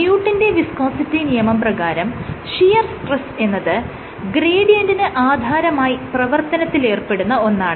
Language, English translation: Malayalam, So, there is Newton’s law of viscosity, which says that the shear stress is related to the gradient